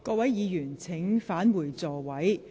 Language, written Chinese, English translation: Cantonese, 各位議員，請返回座位。, Will Members please return to your seats